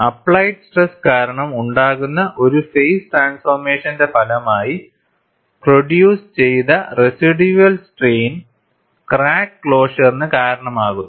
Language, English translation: Malayalam, The residual strain, developed as a result of a phase transformation produced by applied stress, also causes crack closure